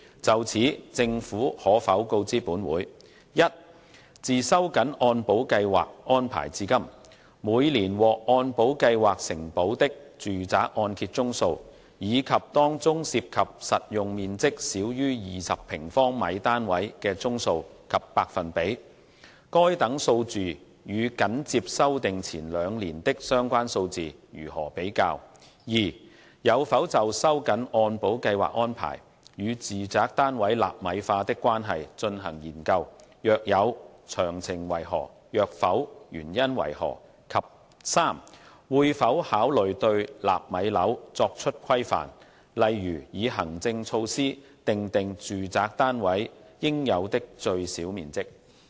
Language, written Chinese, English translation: Cantonese, 就此，政府可否告知本會：一自收緊按保計劃安排至今，每年獲按保計劃承保的住宅按揭宗數，以及當中涉及實用面積少於20平方米單位的宗數及百分比；該等數字與緊接修訂前兩年的相關數字如何比較；二有否就收緊按保計劃安排與住宅單位納米化的關係進行研究；若有，詳情為何；若否，原因為何；及三會否考慮對"納米樓"作出規範，例如以行政措施訂定住宅單位應有的最小面積？, In this connection will the Government inform this Council 1 of the number of residential mortgages covered by MIP each year since the tightening of the arrangements under MIP and among them the number and percentage of such mortgages involving flats with saleable floor area less than 20 square metres; how such figures compare with the relevant figures for the two years immediately preceding the revisions; 2 whether it has conducted studies on the correlation between the tightening of the arrangements under MIP and the prevalence of nano residential flats; if so of the details; if not the reasons for that; and 3 whether it will consider regulating nano flats such as stipulating the minimum size of residential flats through administrative measures?